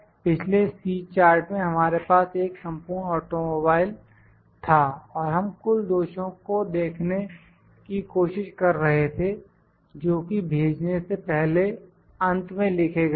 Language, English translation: Hindi, In the previous C chart we had a one full automobile and we were try to look at defects the total defects which are noted down at the end while dispatching that